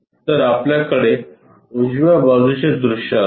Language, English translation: Marathi, So, we will have right side view